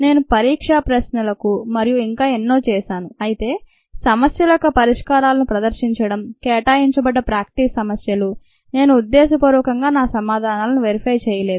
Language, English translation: Telugu, i have done that for the exam questions and so on, but during the ah, in a demonstration of the solutions of the problems, the practice problems that are assigned, i have deliberately not verified my answers